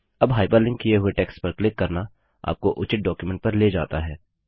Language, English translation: Hindi, Now clicking on the hyperlinked text takes you to the relevant document